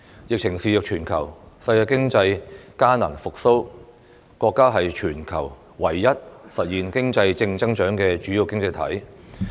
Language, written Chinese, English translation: Cantonese, 疫情肆虐全球，世界經濟艱難復蘇，國家是全球唯一實現經濟正增長的主要經濟體。, Under the ravages of the epidemic the world economy is struggling to recover . Our country is the only major economy in the world that has achieved positive economic growth